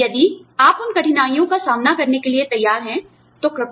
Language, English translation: Hindi, If you are willing to face, those difficulties, please